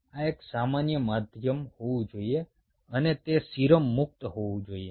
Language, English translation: Gujarati, this has to be a common medium and it should be serum free